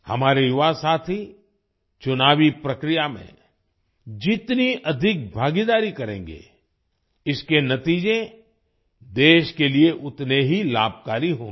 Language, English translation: Hindi, The more our youth participate in the electoral process, the more beneficial its results will be for the country